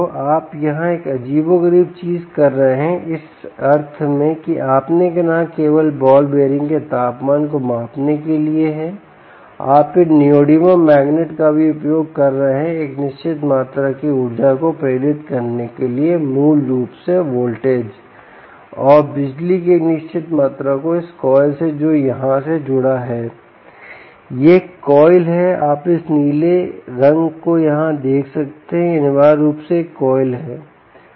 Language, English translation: Hindi, you are doing a peculiar thing here, in the sense that you are not only measuring the temperature of the ball bearing, you are also using theses neodymium magnets for inducing a certain amount of energy voltage basically and a certain amount of power from this coil which is connected here